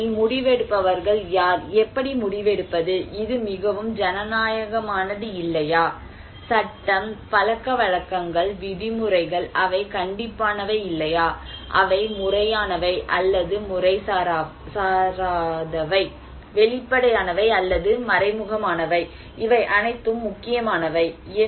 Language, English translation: Tamil, The process it depends on who are the decision makers and how the decision, is it very democratic or not, law, customs, norms, they are strict or not, they are formal or informal, explicit or implicit, these all matter